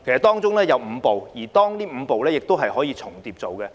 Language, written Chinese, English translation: Cantonese, 當中有5步，而這5步是可以重疊進行的。, These five steps may overlap each other during implementation